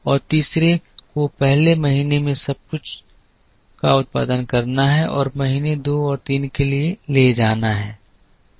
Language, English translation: Hindi, And the third is to produce everything in the first month and carry for months two and three